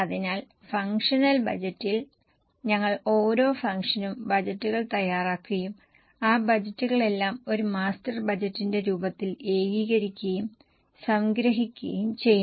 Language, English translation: Malayalam, So, in the functional budget, we prepare budgets for each function and all those budgets are consolidated and summarized in the form of a master budget